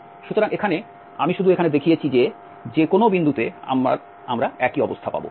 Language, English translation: Bengali, So, here I have just shown here that at any point we have the similar situation